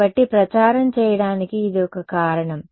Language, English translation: Telugu, So, it is one reason to promote it